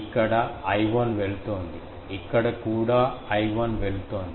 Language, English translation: Telugu, It was going I 1, here also it is going I 1